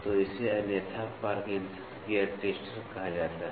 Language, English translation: Hindi, So, this is otherwise called as Parkinson Gear Tester